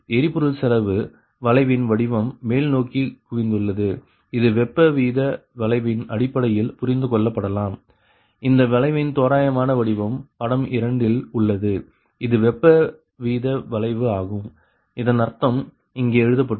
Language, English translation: Tamil, so this one, the shape of the fuel cost curve that is concave upward, may be understood in terms of the heat rate curve, the approximate shape of this curve shown in figure two, this is the heat rate curve, meaning, here it is written point eight, six per hundred